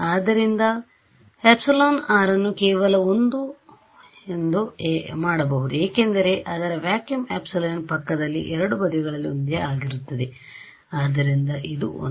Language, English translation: Kannada, So, by the way this epsilon r can just be made 1 right because its adjacent to vacuum epsilon was the same on both sides, so this is 1